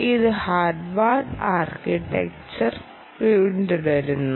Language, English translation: Malayalam, it follows the harward architecture